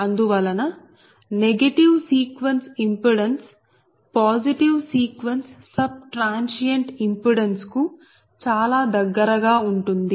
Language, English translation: Telugu, so therefore the negative sequence impedance is very close to the positive sequence sub transient impedance